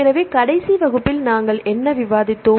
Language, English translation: Tamil, So, what did we discuss in the last class